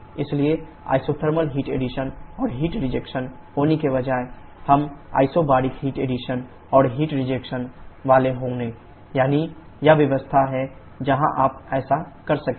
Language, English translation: Hindi, But, instead of having isothermal heat addition and heat rejection, we shall be having isobaric heat addition and heat rejection, i